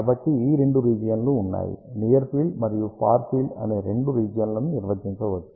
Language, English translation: Telugu, So, there are two regions we define near field region and far field region